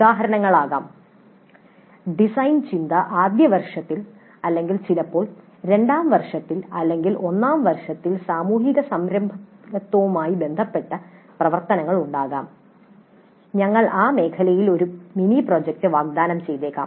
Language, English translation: Malayalam, Examples can be design thinking in first year or sometimes in second year or in first year there could be activity related to social entrepreneurship and we might offer a mini project in that area